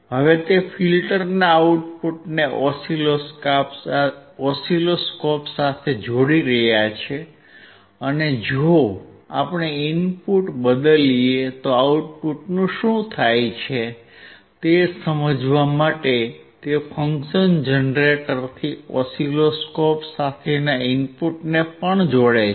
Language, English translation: Gujarati, Now he is connecting the output of the filter to the oscilloscope and he is also connecting the input from the function generator to the oscilloscope just to understand what happens to the output if we change the input